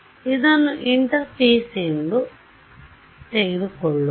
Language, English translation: Kannada, So, this is interface